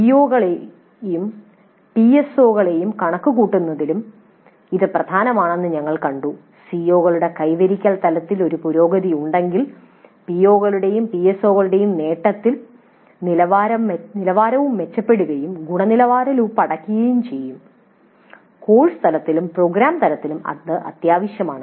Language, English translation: Malayalam, And we have seen that this is also important in terms of computing the POs and PSOs and if there is an improvement in the attainment level of the COs, the attainment levels of the POs and PSOs also will improve and this kind of closer of the quality loop at the course level and at the program level is essential